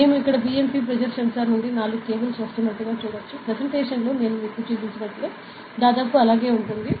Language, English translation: Telugu, We can see here and there are four cables that is coming from the BMP pressure sensor; it is the same that represents is almost the same thing that I showed you in the presentation